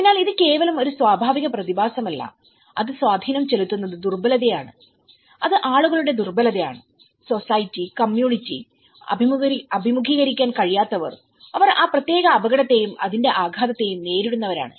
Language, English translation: Malayalam, So, it is not just a natural phenomenon which is making an impact it is the vulnerability, which is the people’s vulnerability, the society, the community, who are unable to face, that who cope up with that particular hazard and its impact